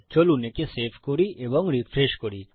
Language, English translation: Bengali, Lets save that and well refresh